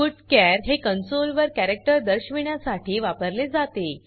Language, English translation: Marathi, putchar is used to display a character on the console